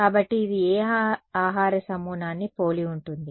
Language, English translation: Telugu, So, what food group does it resemble